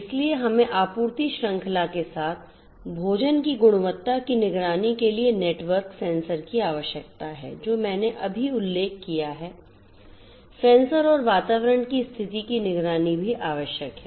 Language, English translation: Hindi, So, we need to have network sensors for food quality monitoring along the supply chain that I have just mentioned, sensors and their networked sensors for monitoring the environmental conditions